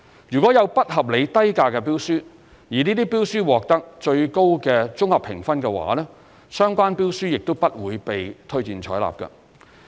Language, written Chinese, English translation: Cantonese, 如果有不合理低價的標書，而這些標書獲得最高的綜合評分的話，相關標書亦不會被推薦採納。, For tenders with unreasonably low prices even if they obtain the highest overall scores they will not be recommended for acceptance